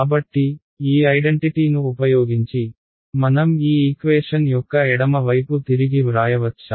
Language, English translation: Telugu, So, looking, using this identity, can I rewrite the left hand side of this equation